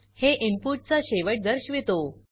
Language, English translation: Marathi, It denotes the end of input